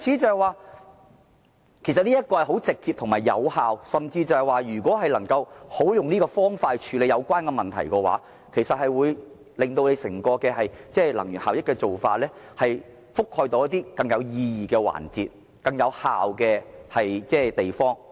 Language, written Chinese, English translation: Cantonese, 這是直接和有效的方法，教育市民好好處理用電相關問題，有助提升整體能源效益，將電力應用到更有意義的環節及更有效的地方。, Educating the public to tackle the issues relating to electricity consumption properly is a direct and effective way to help raise overall energy efficiency whereby electricity can be put to more meaningful use in a more efficient manner